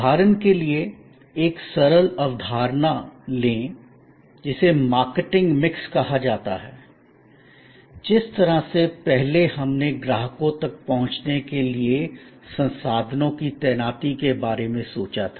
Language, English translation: Hindi, Take for example a simple concept, which is called the marketing mix, the way earlier we thought of deployment of resources for reaching out to customers